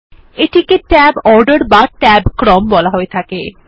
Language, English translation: Bengali, This is called the tab order